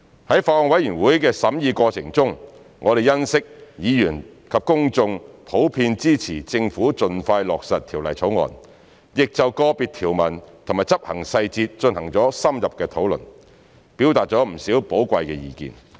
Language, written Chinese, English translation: Cantonese, 在法案委員會的審議過程中，我們欣悉議員及公眾普遍支持政府盡快落實《條例草案》，亦就個別條文及執行細節進行了深入的討論，表達了不少寶貴的意見。, In the course of deliberation by the Bills Committee we were pleased to learn that Members and the public generally supported the expeditious implementation of the Bill by the Government . We also learnt that Members had in - depth discussions on individual provisions and implementation details as well as expressed valuable views